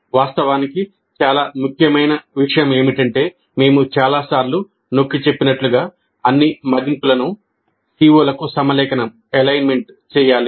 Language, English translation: Telugu, Of course, the most important point as we have emphasized many times is that all assessment must be aligned to the COs